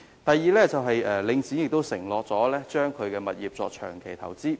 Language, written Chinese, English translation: Cantonese, 第二，領展曾承諾把其物業作長期投資。, Second Link REIT has promised to make its properties long - term investments